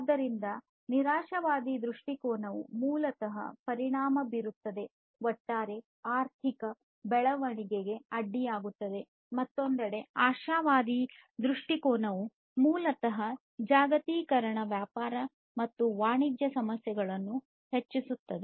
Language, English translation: Kannada, So, pessimistic view basically effects, hinders the overall economic growth, on the other hand, and the optimistic view on the other hand, basically, increases the globalization issues such as trade and commerce